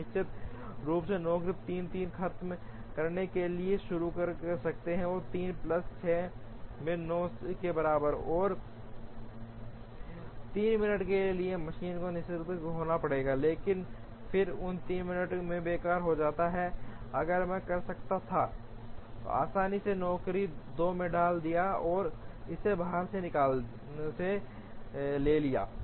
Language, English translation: Hindi, Then definitely job 3 can start at 3 finish at 3 plus 6 equal to 9, and for 3 minutes machine has to be idle, but then in those 3 minutes idle, if I could easily have put job 2 in, and taken it out